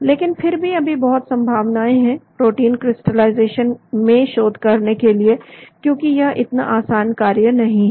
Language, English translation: Hindi, But still there is lot of scope for doing research in protein crystallization because it is not such a simple job